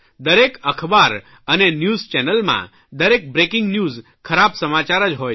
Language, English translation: Gujarati, Each newspaper and news channel has bad news for its every 'breaking news'